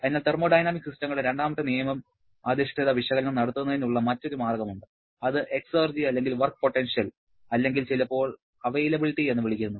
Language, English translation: Malayalam, And therefore, there is another way of performing the second law based analysis of thermodynamic system which is using the concept of exergy or work potential or sometimes called availability